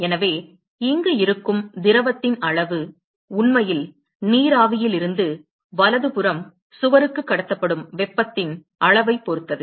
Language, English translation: Tamil, So, the amount of fluid which is present here depends upon the amount of heat that is actually transported from the vapor to the wall right